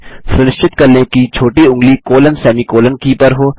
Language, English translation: Hindi, Ensure that the little finger is on the colon/semi colon key